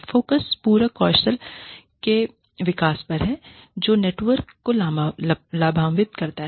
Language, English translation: Hindi, Focus is on the development of complementary skills, which will benefit the network